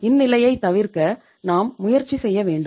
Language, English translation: Tamil, So we have to avoid that situation